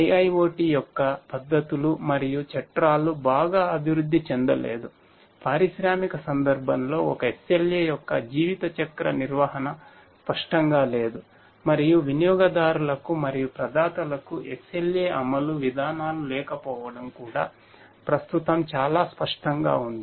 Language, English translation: Telugu, The methodologies and frameworks of IIoT are not well developed, lifecycle management of an SLA in the industrial context is not clear, and the lack of SLA enforcement policies for both the consumers and the providers is also quite evident at present